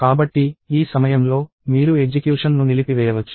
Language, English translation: Telugu, So, at this point, you can stop the execution